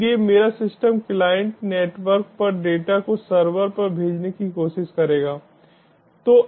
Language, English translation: Hindi, so my system client will try on sending data over the network to the server